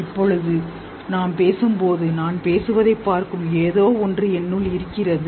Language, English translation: Tamil, Now when I'm speaking there is something in me which is looking at what I am speaking